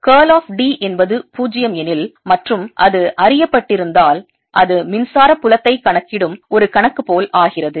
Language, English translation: Tamil, if curl of d was zero and it was known, it becomes like a problem of calculating electric field